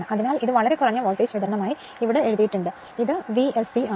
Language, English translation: Malayalam, So, it is written here very low voltage supply and this is V s c